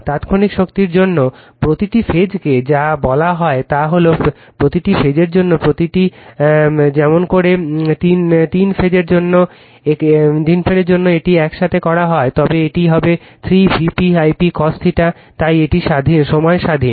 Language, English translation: Bengali, For instantaneous power, for your what you call each phase it is that as the each for each phase does, for three phase if you make it together, it will be 3 V p I p cos theta, so it is independent of time right